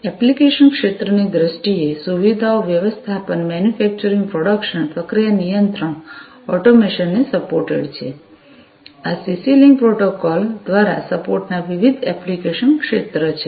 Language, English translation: Gujarati, In terms of the application areas; that are supported facility management, manufacturing production, process control automation, these are the different, you know, application areas of support by CC link protocol